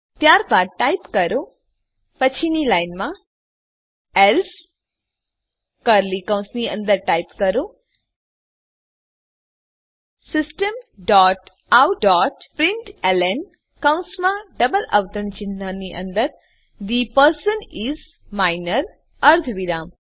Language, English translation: Gujarati, Then type,next line else within curly brackets type System dot out dot println within bracketsin double quotes The person is Minor semi colon